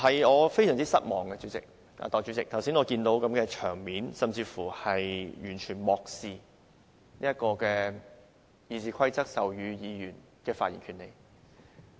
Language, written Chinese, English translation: Cantonese, 我非常失望，代理主席，我看見剛才的場面甚至是完全漠視《議事規則》賦予議員的發言權利。, I am extremely disappointed . Deputy Chairman regarding the scene I saw just now I consider it a total disregard for Members right to speak as conferred by RoP